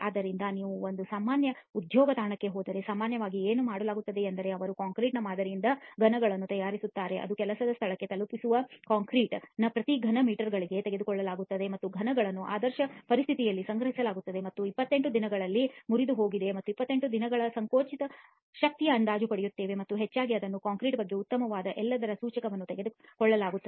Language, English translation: Kannada, So if you go to a typical job site, what is typically done is they prepare cubes from the sample of concrete that is taken from every so many cubic meters of the concrete delivered to the job site and these cubes are stored in the ideal conditions and broken at 28 days and we get an estimate of 28 day compressive strength and mostly that is taken to be an indicator of everything that is good about the concrete, if the 28 days strength requirements are met then we assume that all other requirements are automatically going to be met